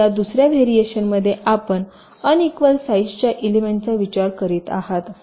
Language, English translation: Marathi, so in this second you are considering unequal sized elements